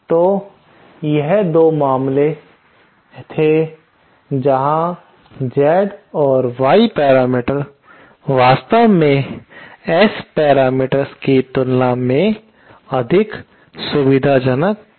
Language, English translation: Hindi, So, this was the 2 cases where Z and Y parameters might actually be more convenient than the S parameters